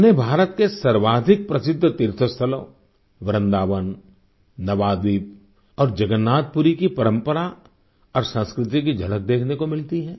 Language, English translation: Hindi, They get to see glimpses of the most famous pilgrimage centres of India the traditions and culture of Vrindavan, Navaadweep and Jagannathpuri